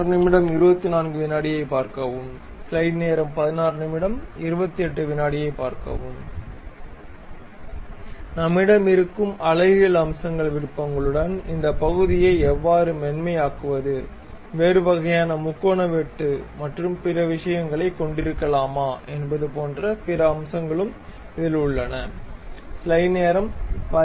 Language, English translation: Tamil, There are other aspects like aesthetic aspects we always have, how to really smoothen this portion, whether we can have some other kind of triangular cut and other things